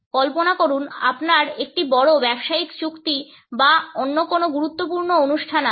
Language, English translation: Bengali, Imagine you have a major business deal coming up or some other important event